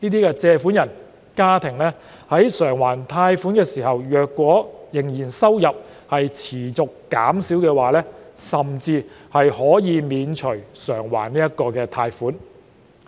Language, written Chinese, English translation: Cantonese, 如借款人或家庭須償還貸款時，收入仍持續減少，甚至可獲豁免償還貸款。, If the income of borrowers or households keeps dropping when repayment has to be made they may even be exempted from loan repayment